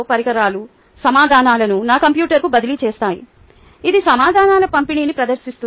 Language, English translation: Telugu, the devices transferred the answers to my computer, which displays the distribution of answers